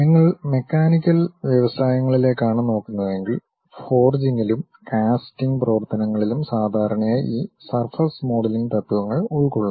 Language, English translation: Malayalam, If you are looking at mechanical industries, the forging and casting operations usually involves this surface modelling principles